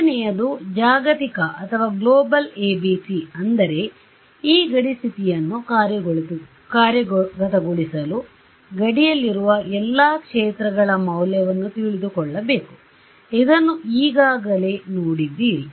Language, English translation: Kannada, The second is a global ABC which means that to implement this boundary condition, I need to know the value of all the fields on the boundary actually you have already seen this